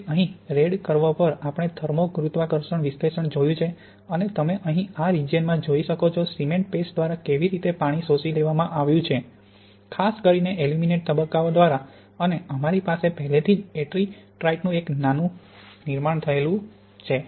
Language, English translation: Gujarati, So here on the red we see a thermogravimetric analysis and you can see in this region here how water has been absorbed by the cement paste particularly by the aluminate phases and we have a small formation already of ettringite